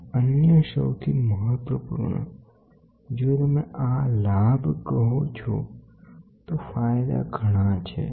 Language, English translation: Gujarati, And, the other most important, if you say this advantage the advantages are many